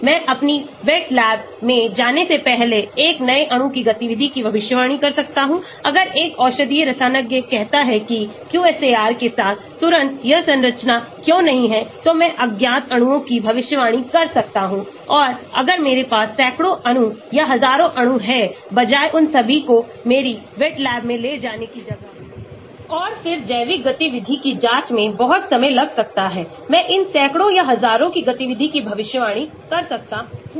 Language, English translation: Hindi, I can predict activity of a new molecule before going into my wet lab, if a medicinal chemist says why not this structure immediately with the QSAR I can predict of unknown molecules and if I have hundreds of molecules or thousands of molecules instead of taking all of them into my wet lab and then checking out the biological activity which could be very time consuming, I may predict the activity of these hundreds or thousands of them